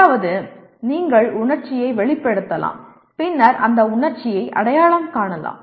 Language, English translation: Tamil, That means you can express emotion and then recognize that emotion